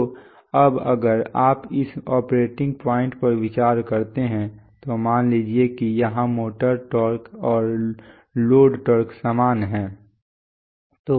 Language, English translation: Hindi, So now if you consider this operating point then, suppose here the motor torque and the load torque are same